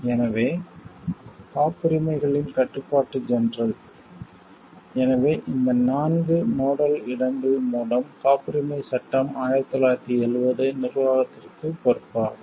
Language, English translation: Tamil, So, the controller general of patents; so, through these 4 nodal locations are responsible for the administration of the patents act 1970